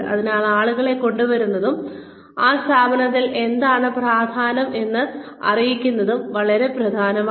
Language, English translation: Malayalam, So, it is very important, to bring people in, and let them know, what might be important in an organization